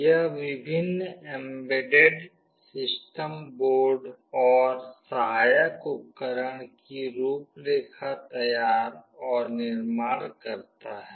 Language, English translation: Hindi, It designs and manufactures various embedded system boards and accessories